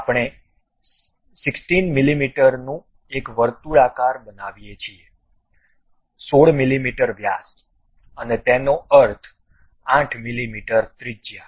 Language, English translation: Gujarati, This is a circular one of 16 mm we construct, 16 mm diameter; that means, 8 mm radius